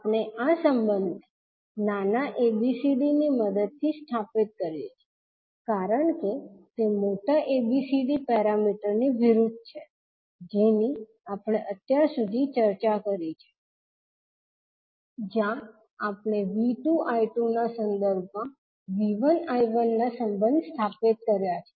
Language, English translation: Gujarati, So we stabilise this relationship with the help of small abcd because it is opposite to the capital ABCD parameter which we have discussed till now where we stabilise the relationship of V 1 I 1 with respect to V 2 I 2